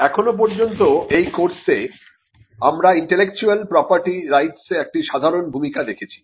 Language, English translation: Bengali, So far, in this course, we have seen a general introduction to Intellectual Property Rights